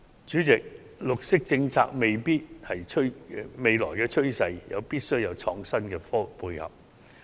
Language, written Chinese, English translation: Cantonese, 主席，綠色政策是未來的趨勢，必須有創新科技的配合。, President green policy is the future trend which must be supported by innovative technology